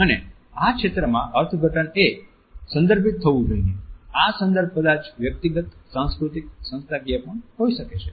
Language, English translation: Gujarati, And in this area interpretation has to be contextualized, these context maybe individual they may be cultural as well as they may be institutional